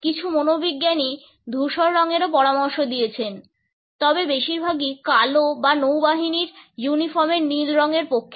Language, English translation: Bengali, Some psychologists have suggested gray also, but the majority is in favor of black or navy blue